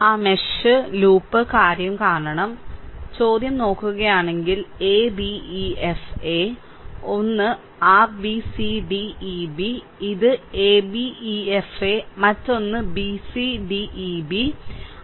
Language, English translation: Malayalam, So, this another one is your b c d e b, this a b e f a, another one is b c d e b